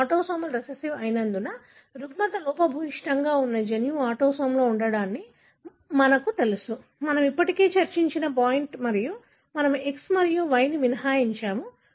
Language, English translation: Telugu, Because it is autosomal recessive, we know that the disorder, the gene that is defective should be in the autosome, the point that we have already discussed and we have excluded X and Y